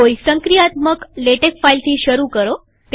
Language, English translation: Gujarati, Start with a working latex file